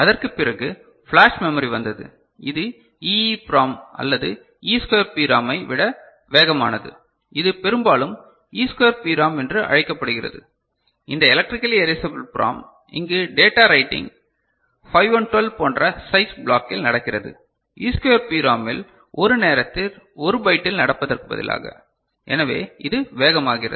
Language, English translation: Tamil, And after that came flash memory where which is faster than EEPROM or E square PROM often it is called often it is called E square PROM also ok this Electrically Erasable PROM where the data writing happens in blocks which is of the size of say 512 bytes instead of what happens for normal E square PROM which is 1 byte at a time, so, that makes it faster